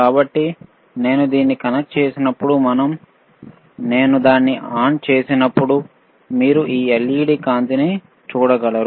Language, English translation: Telugu, So, when I connect it, and I switch it on, you will be able to see this LED lighte light here, right this led right